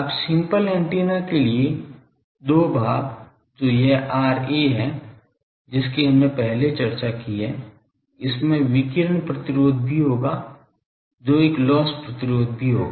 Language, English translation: Hindi, Now, for simple antennas the two parts that is this R A that we have earlier discussed that will have a radiation resistance also that will have a loss resistance